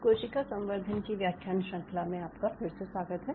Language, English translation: Hindi, welcome back to the lecture series in ah cell culture